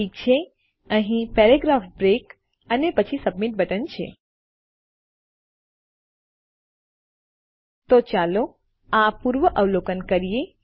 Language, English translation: Gujarati, Okay paragraph break here and then all we need is a submit button, Okay so lets just preview this